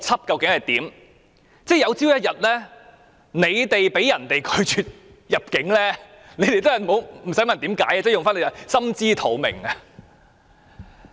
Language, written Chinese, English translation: Cantonese, 有朝一日，建制派議員被其他地區拒絕入境，也不用問原因，用他們自己說的"心知肚明"即可。, If one day any pro - establishment Member is refused entry by other regions they do not have to ask for the reason because in their words they should have a clear idea about the situation